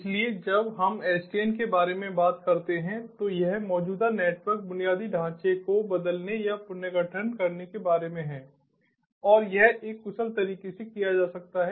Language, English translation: Hindi, so when we talk about sdn, its about transforming or restructuring the existing network infrastructure, and that can be done in an efficient manner